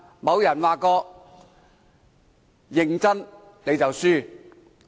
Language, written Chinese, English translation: Cantonese, 有人說過：認真你就輸了。, As someone has said You will lose the game if you take it seriously